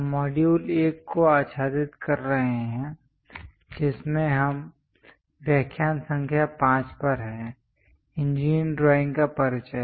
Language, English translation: Hindi, We are covering Module 1, in which we are on lecture number 5; Introduction to Engineering Drawing